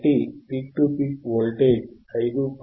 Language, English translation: Telugu, So, the peak to peak voltage yeah is 5